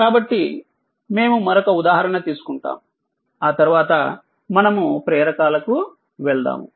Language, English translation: Telugu, So, we will take another example, then we will move to the inductors right